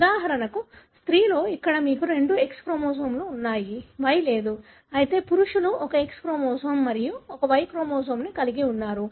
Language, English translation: Telugu, In female for example here you have two X chromosomes, there is no Y; whereas male have got one X chromosome and one Y chromosome